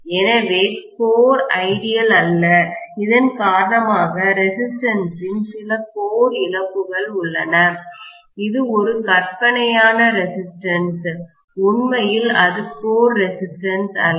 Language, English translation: Tamil, So, we said also that the core is not ideal due to which we do have some core loss component of resistance, this is a fictitious resistance, not really the core resistance as such